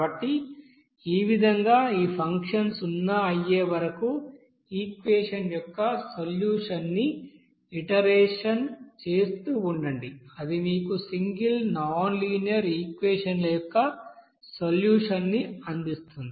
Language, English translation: Telugu, So in this way, keep on you know repeating that you know that solution of that equation until this function will come to 0 that will give you the solution of single nonlinear equation